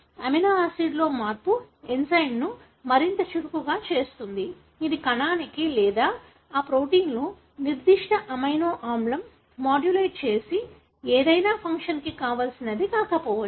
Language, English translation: Telugu, A change in the amino acid makes the enzyme more active, which may not be desirable for the cell or any function that the particular amino acid modulates in that protein is altered